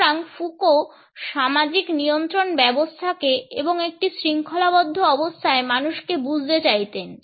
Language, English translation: Bengali, So, Foucault used to understand the systems of social control and people in a disciplinary situation